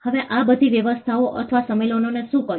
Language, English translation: Gujarati, Now, what did all these arrangements or conventions do